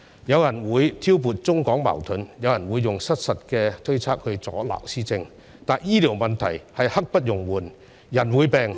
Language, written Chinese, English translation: Cantonese, 有人會挑撥中港矛盾，有人會用失實的推測阻撓施政，但醫療問題是刻不容緩的，人會病......, Some people will sow discord between the Mainland and Hong Kong while others will obstruct policy implementation with false assumptions . Nonetheless the healthcare issue can brook no delay